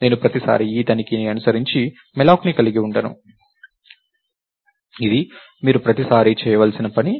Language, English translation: Telugu, So, I will not have malloc followed by this check every time, it is something that you have to do every time